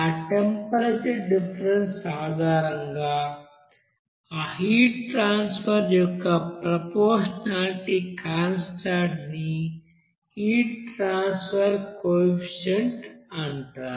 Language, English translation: Telugu, So that proportionality constant of that heat transfer based on that temperature difference will be called as heat transfer coefficient